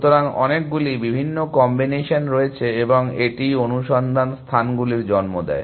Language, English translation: Bengali, So, there are many different combinations and that is what gives rise to the exploding search spaces